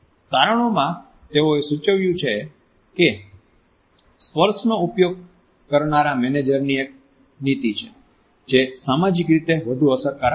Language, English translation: Gujarati, In the findings they had suggested that managers who used touch is a strategy, more frequently were more socially effective